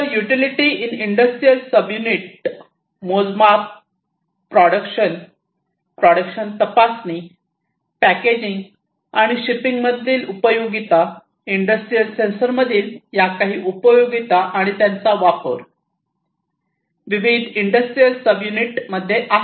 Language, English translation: Marathi, So, utility in industrial subunits measurement production, product inspection, packaging, and shipping, these are some of these utilities of industrial sensors and their use, in different industrial subunits